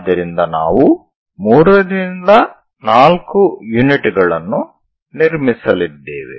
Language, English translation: Kannada, So, 3 by 4 units we are going to construct